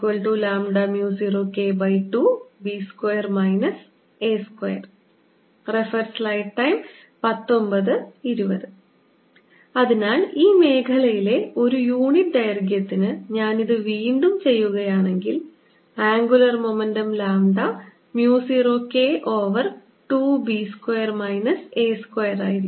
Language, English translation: Malayalam, if i make this again per unit length in this region, per unit length, the angular momentum content is lambda mu, zero k over two, b square minus a square